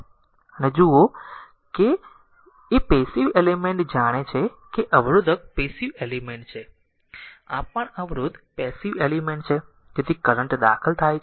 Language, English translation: Gujarati, So, if you look into that that passive element know resistors are passive element, these also resistor passive element so, current enter is observer power